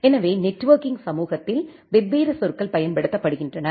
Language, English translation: Tamil, So, there are different terminologies, which are being used in the networking community